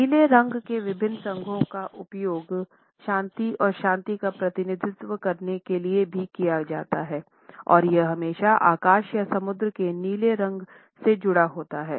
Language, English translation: Hindi, Different associations of blue have also been used to represent peace and tranquility and it is always associated with the blue of the sky or the sea in this sense